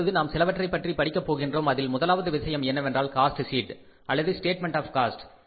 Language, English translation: Tamil, Now we are going to talk about the something first thing something which is called as cost sheet or the statement of the cost